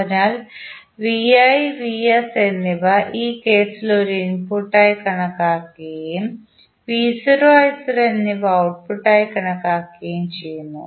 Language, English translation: Malayalam, So, vi and vs are considered as an input in this case and v naught i naught are the outputs